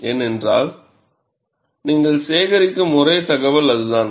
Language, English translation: Tamil, Because that is the only information you are collecting it